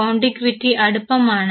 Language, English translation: Malayalam, Contiguity is the nearness